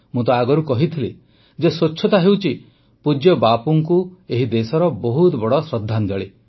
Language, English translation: Odia, And I have said earlier too that this cleanliness is a great tribute by this country